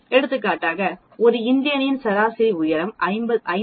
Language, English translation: Tamil, It is like telling the height the average height of an Indian is 5